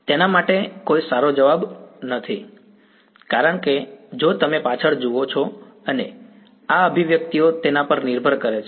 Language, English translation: Gujarati, There is no good answer for it because, it depends if you look back and these expressions